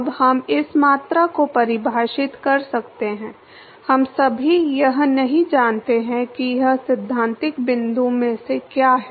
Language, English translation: Hindi, We can now we have to define this quantity, all we do not know what it is from a theoretical point